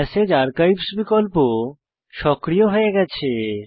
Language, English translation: Bengali, The Message Archives options are enabled